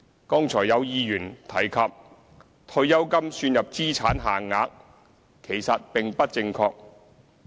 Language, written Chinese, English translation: Cantonese, 剛才有議員提及退休金算入資產限額，其實並不正確。, A Member mentioned just now that retirement benefits are included in the asset limits calculation which is not true